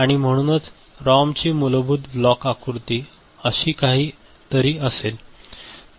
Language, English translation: Marathi, And so the basic block diagram of a ROM will be something like this